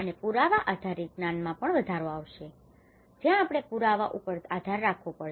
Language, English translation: Gujarati, And improving the evidence based knowledge: where we have to rely on the evidence based